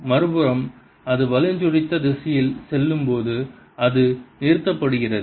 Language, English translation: Tamil, on the other hand, when it goes clockwise, it is stopped